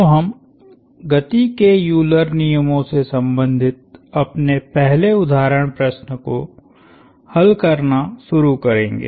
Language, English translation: Hindi, So, we will start solving our first example problem related to Euler’s laws of motion